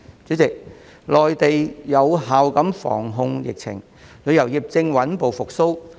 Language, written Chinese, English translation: Cantonese, 主席，內地有效防控疫情，旅遊業正穩步復蘇。, President as the Mainland manages to contain the epidemic its tourism industry is recovering steadily